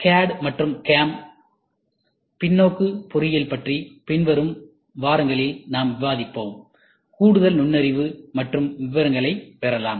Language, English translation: Tamil, We shall discuss about the CAD and CAM, reverse engineering in the coming weeks, so that will try to give you more insight and details